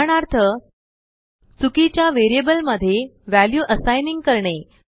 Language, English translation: Marathi, For example, Assigning a value to the wrong variable